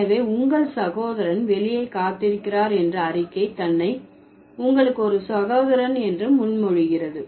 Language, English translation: Tamil, So, the statement itself that your brother is waiting outside does presuppose that you have a brother